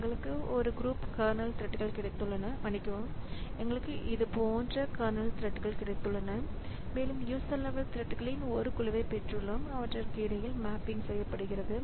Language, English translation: Tamil, So we have got a group of kernel threads and sorry, we have got a group of kernel threads like this and we have got a group of kernel threads like this and we have got a group of kernel threads and we have got a group of kernel threads like this and we have got a group of user level threads and the mapping is between them